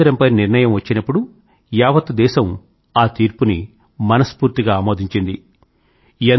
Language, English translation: Telugu, When the verdict on Ram Mandir was pronounced, the entire country embraced it with open arms